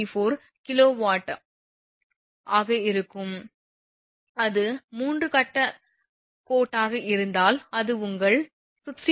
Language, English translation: Tamil, 34 kilowatt per phase if it is a 3 phase line then it will be your 16